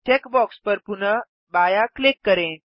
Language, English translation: Hindi, Left click the check box again